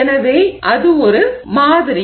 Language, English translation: Tamil, So, that is one sample